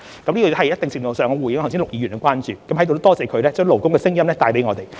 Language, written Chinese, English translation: Cantonese, 這是在一定程度上回應陸議員的關注，在此亦感謝他把勞工的聲音帶給我們。, I hope my response can somehow address Mr LUKs concern and I thank him for bringing the voice of workers to us